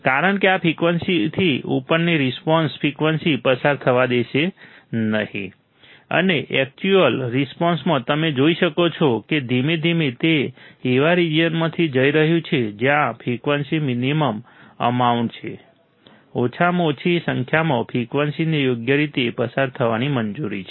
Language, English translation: Gujarati, Because will above this frequency the response the frequency would not allowed to pass and in the actual response you will see that slowly it is going to the region where frequencies are minimum amount, minimum number of frequencies are allowed to pass right